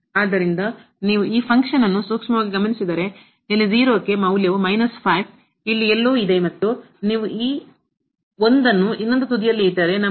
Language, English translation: Kannada, So, if you take a close look at this function here at 0 the value is a minus 5 somewhere here and if you put this 1 there the other end then we will get 3